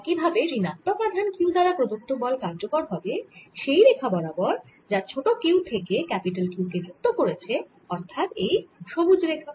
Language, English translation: Bengali, similarly, the force by minus q on small q will be along the line from small q to capital q along the line shown by green